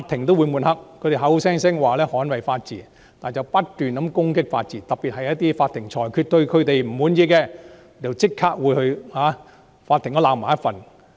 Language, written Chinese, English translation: Cantonese, 他們口講捍衞法治，卻不斷攻擊法治，特別是對於一些他們不滿意的裁決，就會立即批評法庭。, They claim to safeguard the rule of law but keep attacking the rule of law . Particularly for judgments that they are not happy with they will immediately criticize the Court